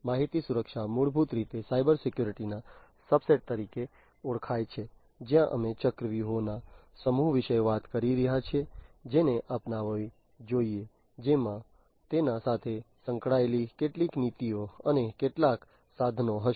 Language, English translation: Gujarati, Information security, it is basically recognized as a subset of Cybersecurity, where we are talking about a set of strategies that should be adopted, which will have some policies associated with it, some tools and so on